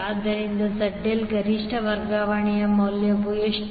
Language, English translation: Kannada, So, what will be the value of ZL maximum transfer